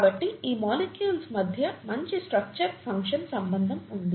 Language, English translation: Telugu, So there is a good structure function relationship between these molecules